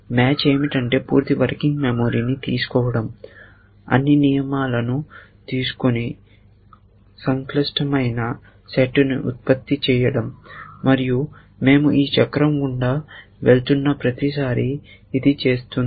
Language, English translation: Telugu, What match is doing is taking the full working memory, taking all the rules and producing the complex set and it is doing this every time we are going through this cycle